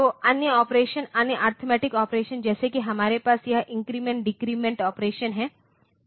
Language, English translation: Hindi, So, other operations other arithmetic operation like we have to have this increment decrement operation